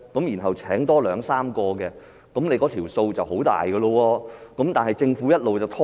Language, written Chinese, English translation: Cantonese, 如果聘請了兩三個人員，那數目便很大了，但政府一直拖延。, It will cost the companies employing two or three employees a huge sum of money but the Government has simply been procrastinating